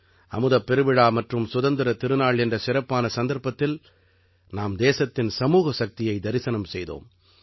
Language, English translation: Tamil, On this special occasion of Amrit Mahotsav and Independence Day, we have seen the collective might of the country